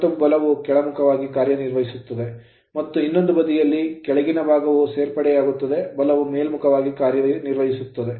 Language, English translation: Kannada, So, and force will be acting down ward and this side your what you call lower portion will be additive force will act upwards